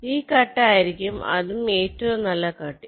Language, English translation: Malayalam, this will be the best cut